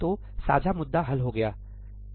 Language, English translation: Hindi, So, the shared issue is resolved